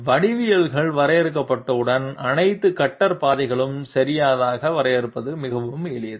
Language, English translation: Tamil, Once the geometries have been defined, it is extremely simple to define all the cutter paths okay